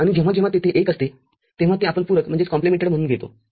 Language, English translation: Marathi, And whenever there is a 1, we take it as complemented